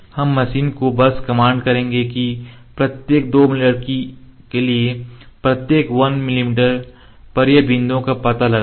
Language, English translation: Hindi, Just we will command the machine that at each 1 mm for at each 2 mm it will locate the points